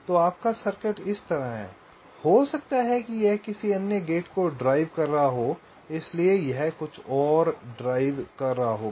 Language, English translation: Hindi, so your circuit is like this may be: this is driving some other gate, right, some other gate